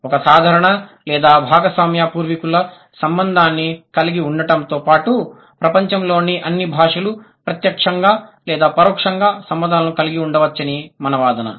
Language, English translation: Telugu, We are claiming that besides having a common or shared ancestral relation, all languages in the world they might have had either direct or indirect contact